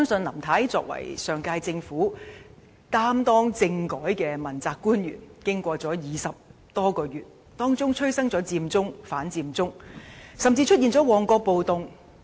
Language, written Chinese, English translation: Cantonese, 林太在上屆政府是負責政改的問責官員，經歷20多個月，其間催生了佔中和反佔中，甚至出現了旺角暴動。, Mrs LAM was an accountability official in the last - term Government responsible for the constitutional reform . During the period of 20 - odd months the Occupy Central movement and anti - Occupy Central movement and even the Mong Kok riot had taken place